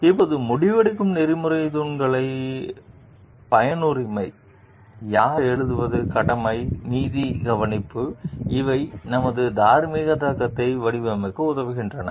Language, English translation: Tamil, Now, the ethical pillars of decision making like, utilitarianism, who writes, duties, justice care these helps us in framing our moral reasoning